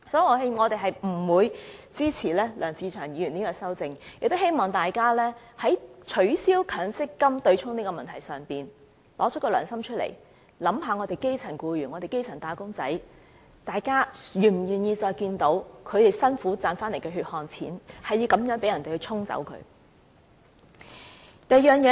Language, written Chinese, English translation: Cantonese, 所以，我們是不會支持梁志祥議員的修正案，亦希望大家在取消強積金對沖的問題上，拿出良心，想一想基層僱員和基層"打工仔"，大家是否願意再看到他們辛苦賺取的血汗錢繼續被人以此方式"沖走"呢？, We also hope that Members should act according to their conscience as far as the abolition of the offsetting arrangement of MPF contributions is concerned . Members should think about grass - root employees and wage earners . Do we wish to see the continuous erosion of their hard - earned money by the off - setting mechanism?